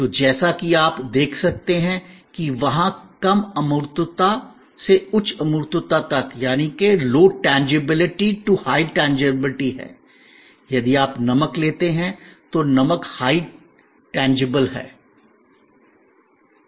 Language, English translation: Hindi, So, there is a low intangibility to high intangibility and there as you can see that, if you take salt, salt is highly tangible